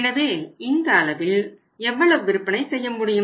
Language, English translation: Tamil, So, at this level how much level of sales will be able to make